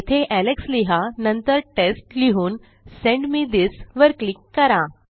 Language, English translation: Marathi, So if I say Alex and then Test and click on Send me this